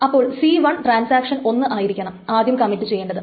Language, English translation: Malayalam, So C1, transaction 1 should first commit and then transaction 2 commits